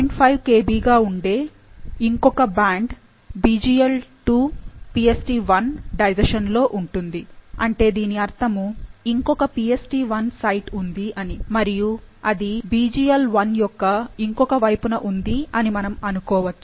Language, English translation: Telugu, 5 Kb in the BglII PstI digestion and so that means there is another PstI site and it should be on the other side of BglI, hopefully